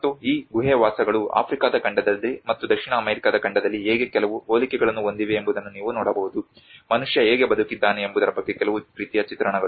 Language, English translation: Kannada, \ \ And you can see some similarities of how these cave dwellings have some similarities in the African continent as well as in the South American continent, some kind of similar depictions of how man has lived